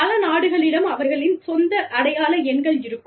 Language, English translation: Tamil, Since, many countries have their own identification numbers